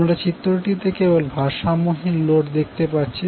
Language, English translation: Bengali, So we are showing only the unbalanced load in the figure